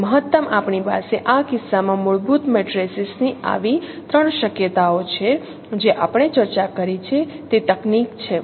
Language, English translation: Gujarati, So the maximum we have three such possibilities of fundamental matrices in this case